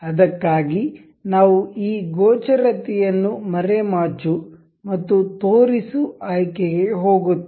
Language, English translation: Kannada, For that we will go to this visibility hide and show